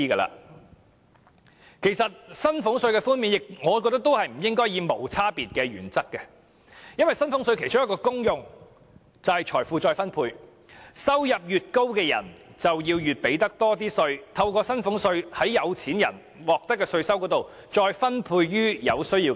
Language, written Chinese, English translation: Cantonese, 我覺得寬減薪俸稅不應該採用無區別的原則，因為薪俸稅的其中一種功能是財富再分配，收入越高的人便應繳交更多稅款，讓政府把從富有的人身上獲取的稅收分配予有需要的人。, In my opinion the Government should not reduce salaries tax in an indiscriminate manner because one of the functions of salaries tax is to redistribute wealth . People earning higher income should pay more tax hence the Government can redistribute the tax revenue received from the rich to people in need